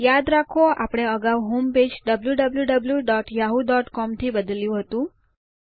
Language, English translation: Gujarati, Remember we changed the home page to www.yahoo.com earlier on